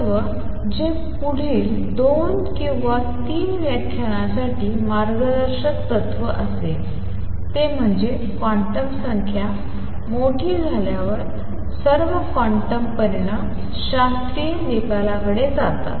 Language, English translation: Marathi, Principle which will be guiding principle for or next two or three lectures, is that as quantum numbers become large all quantum results go to a classical results